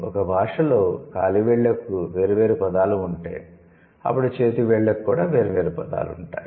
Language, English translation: Telugu, We have if a language has words for individual toes, then it has words for individual fingers